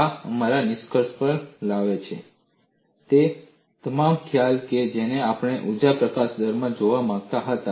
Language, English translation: Gujarati, This brings to our conclusion, all the concept that we wanted to look at in an energy release rate